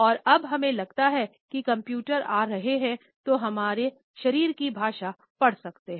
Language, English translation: Hindi, And now we feel that computers are coming, which can read our body language